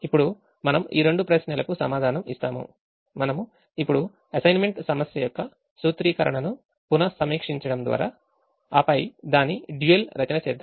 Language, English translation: Telugu, now we'll answer these two questions now by looking at going back and revisiting the formulation of the assignment problem and then by writing its dual